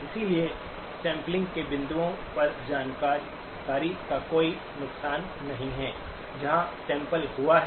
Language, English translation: Hindi, Therefore, there is no loss of information at the points of sampling, where the sampling has occurred